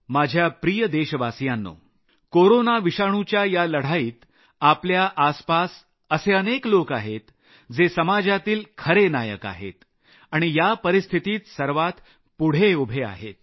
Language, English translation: Marathi, My dear countrymen, in this battle against Corona virus we have many examples of real heroes in the society